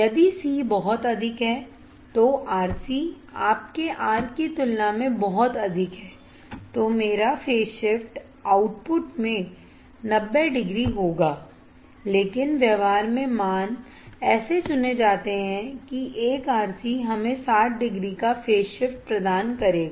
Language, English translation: Hindi, If c is extremely high then RC is extremely high than your R then my phase shift would be 90 degree phase shift would be 90 degrees at the output, but in practice the values are selected such that 1 RC will provide us phase shift of 60 degrees